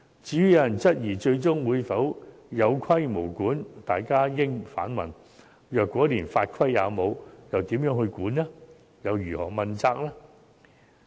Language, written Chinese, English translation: Cantonese, 至於有人質疑最終會否有規無管，大家應反問，如果連法規也沒有，試問如何監管和如何問責？, Responding to the query of whether the legislation will eventually be enforced we should instead ask how regulation and accountability can be best ensured in the absence of legislation